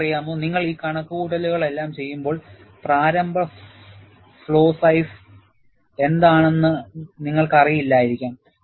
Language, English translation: Malayalam, And you know, when you do all these calculations, you may not know what is a initial flaw size